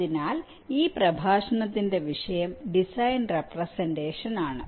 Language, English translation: Malayalam, so the topic of this lecture is design representation